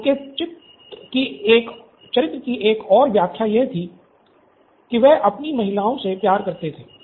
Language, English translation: Hindi, So, another quirk of his character was that he’d loved his ladies